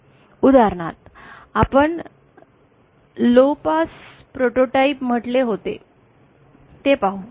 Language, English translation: Marathi, For example let us see we had say a low pass prototype